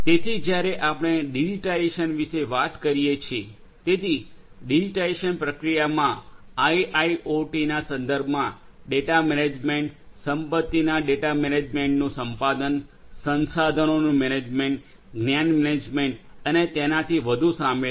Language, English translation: Gujarati, So, when we talk about digitization, so you know the digitization process involves acquisition of the data in the context of IIoT, acquisition of data management of assets, management of resources, knowledge management and so on